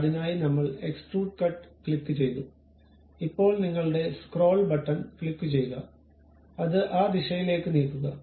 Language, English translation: Malayalam, So, I clicked Extrude Cut, now click your scroll button, move it in that direction